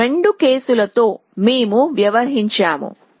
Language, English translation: Telugu, So, we are dealt with this these two cases